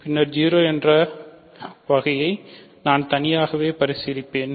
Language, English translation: Tamil, So, 0 case I will separately consider